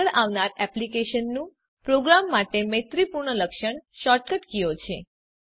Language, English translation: Gujarati, Ctrl, S to save The next programmer friendly feature of eclipse is the shortcut keys